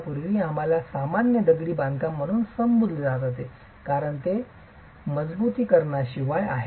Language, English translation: Marathi, Earlier this would just be referred to as ordinary masonry because it's without reinforcement